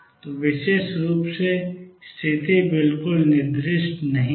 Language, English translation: Hindi, So, notely the position is not specified exactly